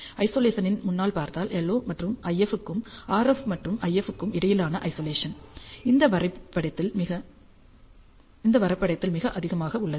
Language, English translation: Tamil, And if you see on the Isolation front, the Isolation between LO and IF, and RF and IF which is this graph is is very very high